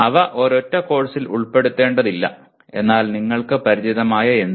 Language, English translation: Malayalam, They need not belong to a single course but anything that you are familiar with